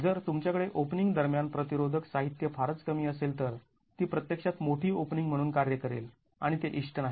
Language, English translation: Marathi, If you have very little resisting material between openings, it's going to actually work as a larger opening and that is not desirable